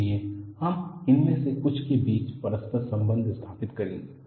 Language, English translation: Hindi, So, we would establish certain interrelationships among this